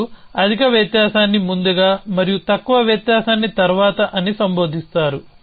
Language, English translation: Telugu, So, you address higher difference is first and the lower difference is later